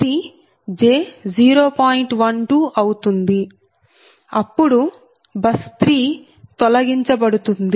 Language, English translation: Telugu, that means buss three is eliminated